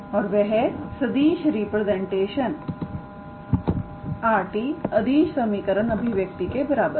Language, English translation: Hindi, And that vector representation r t equals to that expression is same as the scalar equation